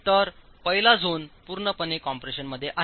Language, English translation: Marathi, So, the first zone is purely in compression